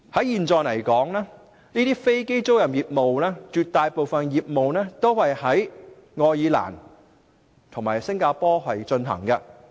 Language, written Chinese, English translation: Cantonese, 現時，這些飛機租賃業務絕大部分都是在愛爾蘭及新加坡進行。, At present aircraft leasing business is concentrated in Ireland and Singapore